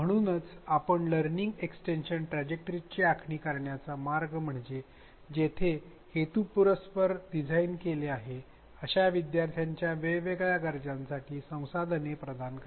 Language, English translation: Marathi, So, the way we design learning extension trajectories is to provide resources for different needs of learners with where it is deliberately designed